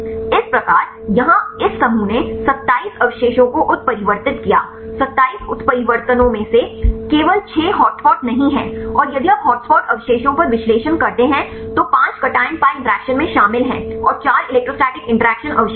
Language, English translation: Hindi, So, here this group they mutated 27 residues, among the 27 mutants they I do not only 6 are hotspots and if you do the analysis on the hot spot residues 5 are involved in cation pi interactions and 4 are the electrostatic interaction forming residues there are charged residues